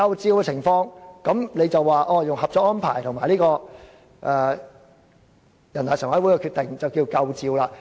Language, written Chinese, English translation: Cantonese, 在這情況下，若引用《合作安排》和人大常委會的決定，便夠分量了。, Such being the case it will carry enough weight if the Co - operation Arrangement and the Decision of NPCSC are cited